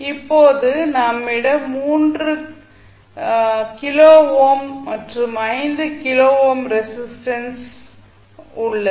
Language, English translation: Tamil, Now, we have 3 kilo ohm and 5 kilo ohm resistances